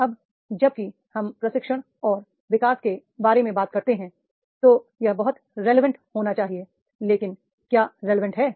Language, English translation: Hindi, Now whenever we talk about the training and development then it should be very much relevant but relevant to what